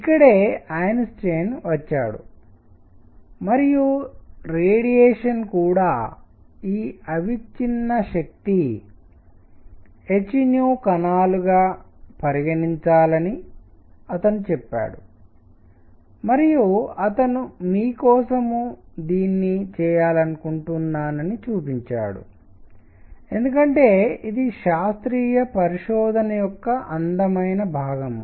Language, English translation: Telugu, And that is where Einstein came in and he said may be radiation should also be treated as this continuous containing particles of energy h nu and he went on to show this I want to do it for you, because this is a beautiful piece of scientific investigation